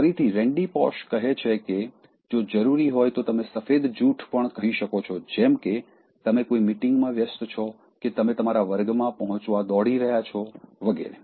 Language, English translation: Gujarati, If required, again Randy Pausch says that you can also tell a white line, such as, you are busy in meeting, that you are rushing to your class etc